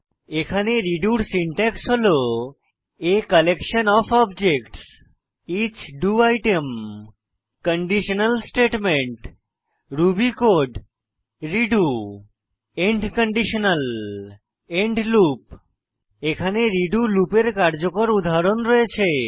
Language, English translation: Bengali, The syntax for redo in Ruby is as follows: a collection of objects.each do item a conditional statement ruby code redo end conditional end loop I have a working example of the redo loop